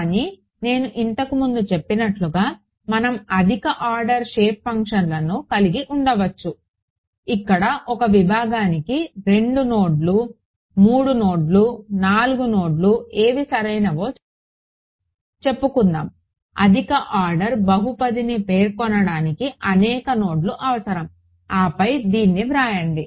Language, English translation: Telugu, But, as I mentioned earlier we can have higher order shape functions, where for a segment you need let us say 2 nodes 3 nodes 4 nodes whatever right those many number of nodes are required to specify a higher order polynomial, then to write out this first expression over here becomes tedious right